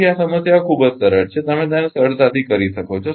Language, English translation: Gujarati, So, this problems are very simple you can easily do it